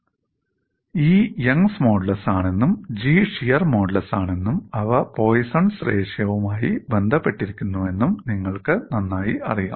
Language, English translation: Malayalam, And you know very well that E is the young’s modulus, G is the shear modulus and they are related by the Poisson’s ratio